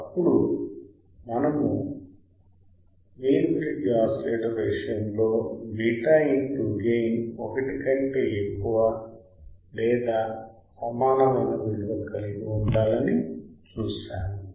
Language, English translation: Telugu, Then we have seen then in the case of Wein bridge oscillator the gain into beta right that the condition should be greater than equal to 1